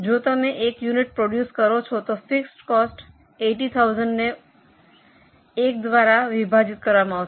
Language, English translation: Gujarati, If you just produce one unit, the fixed cost will be 80,000 upon 1